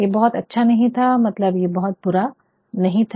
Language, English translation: Hindi, It was not very bad, it was not very bad